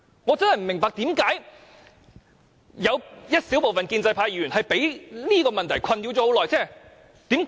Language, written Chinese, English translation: Cantonese, 我真的不明白為何有小部分建制派議員會被這問題困擾這麼久。, I really do not understand why a small number of pro - establishment Members would be bothered by this question for so long